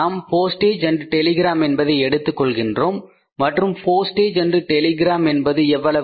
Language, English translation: Tamil, Then we have to take P&T, post and telegram and telegram and how much is the post and telegram